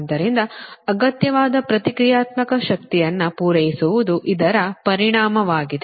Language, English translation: Kannada, so the is to supply the your requisite reactive power